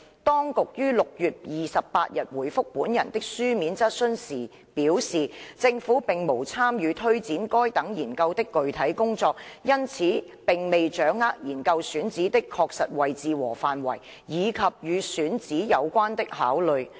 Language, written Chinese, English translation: Cantonese, 當局於6月28日回覆本人的書面質詢時表示，政府並無參與推展該等研究的具體工作，因此並未掌握研究選址的確實位置和範圍，以及與選址有關的考慮。, In reply to my written question on 28 June the authorities indicated that the Government had not taken part in the specific work to take forward the studies and hence had no information on the exact locations and areas of the sites selected for the studies nor the considerations in site selection